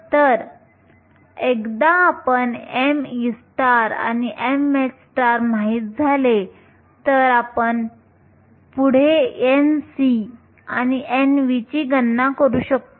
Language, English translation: Marathi, So, once you know m e star and m h star, we can go ahead and calculate n c and n v